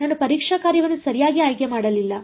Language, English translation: Kannada, I did not choose a testing function right